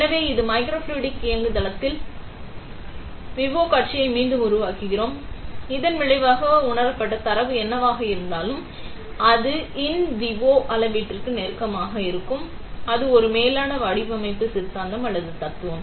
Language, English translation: Tamil, So, we are recreating the in vivo scenario in this microfluidic platform; as a result the whatever sensed data comes out, will be closer to an in vivo measurement, that is a over design ideology or philosophy